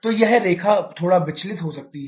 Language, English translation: Hindi, So, this line may deviate a bit